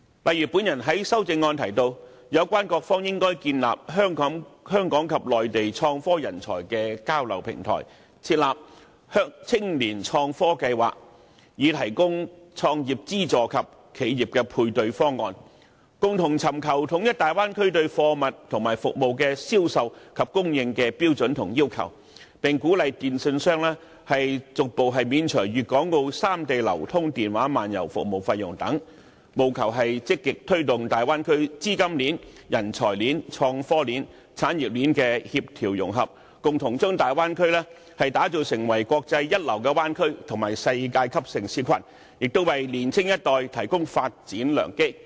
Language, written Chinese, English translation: Cantonese, 就如我在修正案提到，有關各方應建立香港及內地創科人才的交流平台，推出青年創科計劃，提供創業資助及企業配對方案，共同尋求統一大灣區對貨物和服務的銷售及供應的標準和要求，並鼓勵電訊商逐步免除粵港澳三地流動電話漫遊服務費用等，務求積極推動大灣區的資金鏈、人才鏈、創科鏈、產業鏈的協調融合，共同將大灣區打造成國際一流的灣區及世界級城市群，並為年青一代提供發展良機。, As proposed in my amendment the relevant parties should establish an exchange platform for Hong Kong and Mainland IT talents; launch an IT programme for the youth to provide business start - up subsidies and corporate matching proposals; jointly seek to unify the standards and requirements on the sales and supply of goods and services in the Bay Area; and encourage telecommunications companies to progressively waive mobile roaming service charges for Guangdong Hong Kong and Macao in a bid to proactively promote the coordination and integration of the capital chain talent chain IT chain and industry chain thereby developing the Bay Area into a first - class international bay area and a world - class city cluster and offering the younger generation greater development opportunities